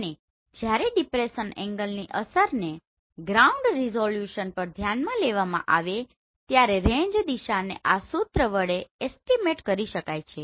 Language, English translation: Gujarati, And when the depression angle affect is considered the ground resolution in the range direction can be estimated using this formula